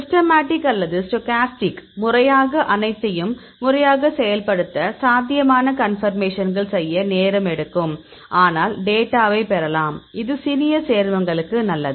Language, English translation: Tamil, Systematic or stochastic; in systematic you need to systematically carry out all the possible conformations; its time consuming, but you can get the data; it is good for the small compounds